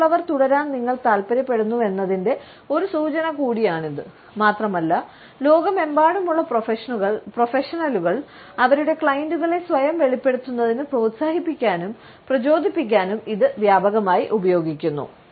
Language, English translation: Malayalam, It is also a signal to others that you want them to continue and it is also widely used by professionals, the world over to encourager and motivate their clients to self disclose at length